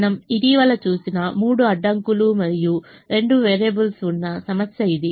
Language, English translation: Telugu, this is the problem that we looked at recently, where we had three constraints and two variables